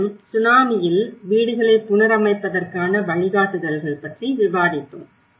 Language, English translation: Tamil, And again, we did discussed about the guidelines for reconstruction of houses in tsunami